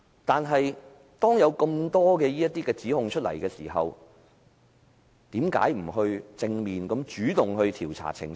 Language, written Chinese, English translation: Cantonese, 但是，當有那麼多指控出現時，為何不主動和正面調查澄清？, However in view of so many accusations why should the Government not take the initiative to thoroughly investigate them?